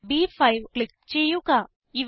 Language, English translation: Malayalam, Click on the cell B5